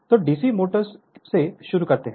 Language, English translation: Hindi, So, we start with DC motors